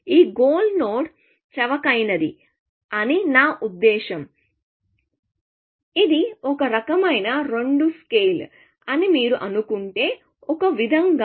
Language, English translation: Telugu, This goal node is cheaper, I mean, if you just assume that this is kind of two scale, in some sense